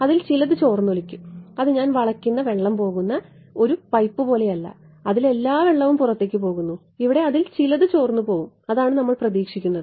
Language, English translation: Malayalam, Some of it will leak not it will its not like a pipe of water that I bend it and all the water goes out some of it will leak out that is what we will expect